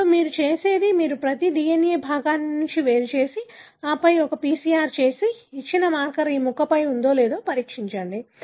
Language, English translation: Telugu, Now, what you do is, you, each DNA fragment you isolate and then do a PCR and test whether a given marker, you know, is located on this piece